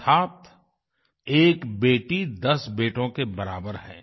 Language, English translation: Hindi, This means, a daughter is the equivalent of ten sons